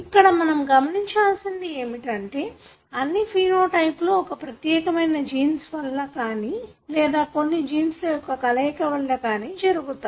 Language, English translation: Telugu, It need not be that all these phenotypes that you see are regulated by one particular gene, but it could be combination of them